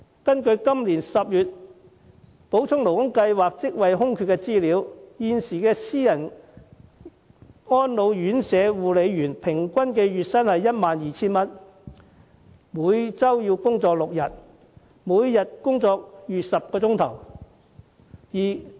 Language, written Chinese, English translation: Cantonese, 根據今年10月補充勞工計劃職位空缺的資料，私人安老院舍護理員平均月薪約 12,000 元，每周工作6天，每天工作逾10小時。, According to the information about job vacancies of the SLS in October the average monthly salary of a carer in private residential care home is approximately 12,000 and they have to work 6 days a week and over 10 hours a day